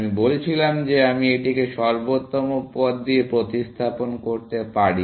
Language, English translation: Bengali, I said I could replace this by the optimal path